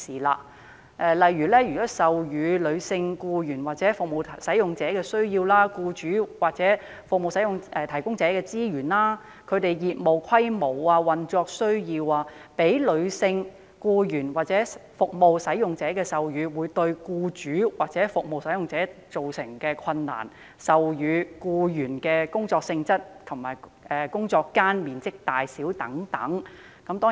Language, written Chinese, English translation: Cantonese, 例如，授乳僱員或服務使用者的需要；僱主或服務提供者的資源、業務規模、運作需要；讓女性僱員或服務使用者授乳對僱主或服務提供者造成的困難，以及授乳僱員的工作性質及工作間面積大小等。, For example the needs of breastfeeding staff or service users; the resources business scale and operational needs of employers or service providers; the difficulties of employers or service providers caused by breastfeeding female staff or service users and the work nature and the size of the work areas of breastfeeding staff